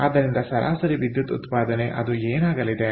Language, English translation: Kannada, so average power output, what is it going to be